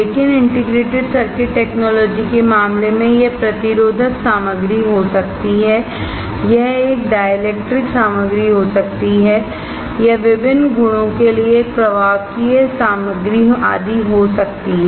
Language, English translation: Hindi, But in case of integrated circuit technology it can be resistive material, it can be a dielectric material, it can be a conductive material etc